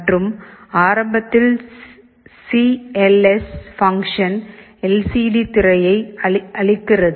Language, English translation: Tamil, 9 and cls function initially clears the LCD screen